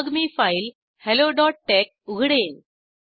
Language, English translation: Marathi, Then I will open the file hello.tex